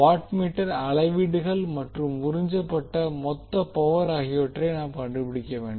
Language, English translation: Tamil, We need to find out the watt meter readings and the total power absorbed